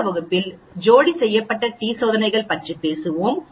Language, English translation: Tamil, So, we will continue and we will talk about paired t tests in the next class